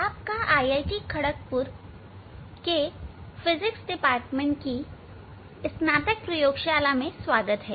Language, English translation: Hindi, You are welcome to the undergraduate laboratory of Department of Physics IIT, Kharagpur